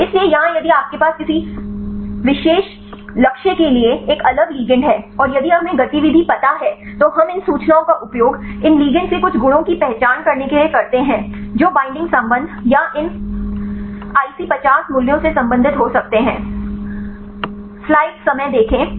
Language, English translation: Hindi, So, here if you have a different ligands for a particular target, and if we know the activity then we use this information to identify some properties of these ligands to see which can relates the binding affinity or these IC50 values